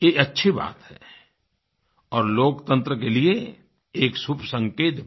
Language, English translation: Hindi, This is a good development and a healthy sign for our democracy